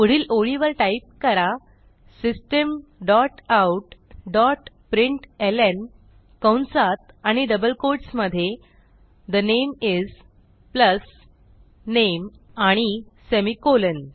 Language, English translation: Marathi, Next line type System dot out dot println within brackets and double quotes The name is plus name and semicolon